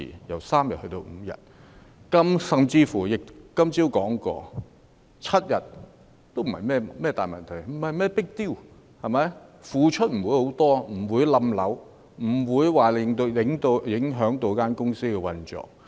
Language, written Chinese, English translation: Cantonese, 我今天早上甚至說過，即使增至7天也不是甚麼大問題 ，"not a big deal"， 付出的不會很多，亦不會影響公司的運作。, This morning I even said that it was not a big deal if paternity leave was increased to seven days because the expenses incurred would not be very large nor would it affect the operation of a company